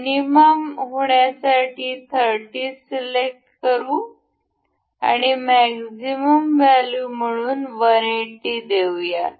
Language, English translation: Marathi, Let us just select 30 to be minimum and say 180 as maximum value